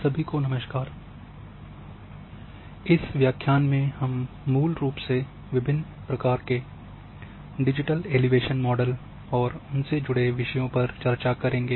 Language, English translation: Hindi, Hello everyone, in this particular lecture we are going to discuss basically different types of digital elevation models and their issues associated with them